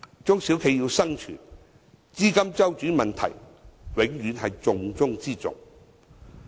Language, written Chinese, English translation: Cantonese, 中小企要生存，資金周轉問題永遠是重中之重。, Cash flow is invariably the vital factor for the survival of SMEs